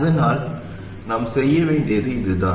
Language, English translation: Tamil, So that's what we have to do